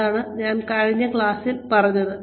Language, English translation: Malayalam, This is what, I was talking about, in the last class